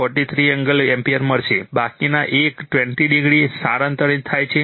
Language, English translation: Gujarati, 43 degree ampere, the rest are shifting one 20 degree right